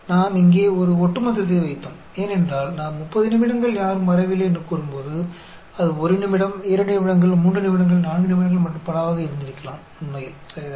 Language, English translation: Tamil, We put a cumulative here, because, when we say for 30 minutes nobody came, it could have been 1 minute, 2 minutes, 3 minutes, 4 minutes and so on, actually, ok